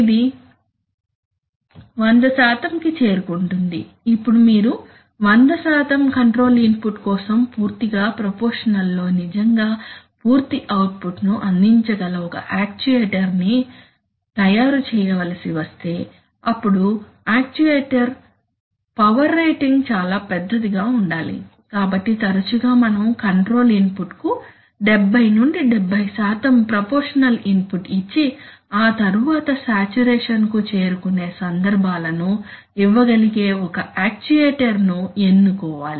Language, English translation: Telugu, Something like it reaches 100%, Now, if you have to make an in an actuator which can really deliver full output even for 100% control input completely proportional, then the actuator has to be very large and the actuator setting has to be I mean the actuator power rating has to be very large, so often it is, it is very common that, okay, we will, we will choose an actuator which can deliver input proportional to the control input for about 70, 75% and then it will saturate, so the cases where you will get you will get